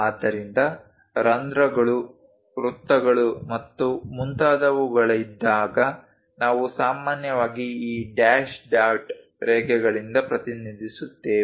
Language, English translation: Kannada, So, whenever there are holes, circles and so on, we usually represent by these dash dot lines